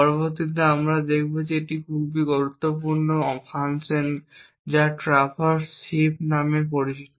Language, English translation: Bengali, The next we will see is a very important function known as the traverse heap function